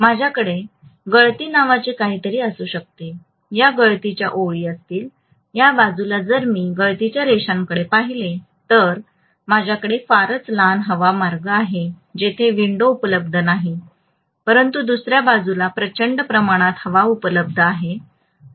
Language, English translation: Marathi, I may have something called leakage, these will be leakage lines, on this side if I look at the leakage lines I have a very very small air path not much of window available but on the other side huge amount of air is available, so in core construction at least on one side the windings are surrounded by air